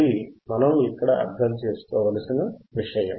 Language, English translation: Telugu, That is the point that we need to understand